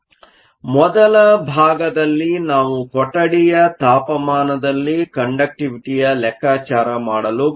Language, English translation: Kannada, So, In the first part, we want to calculate the room temperature conductivity